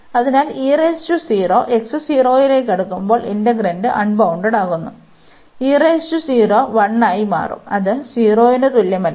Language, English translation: Malayalam, So, when we take x approaching to 0, so e power 0 and this will become 1, which is not equal to 0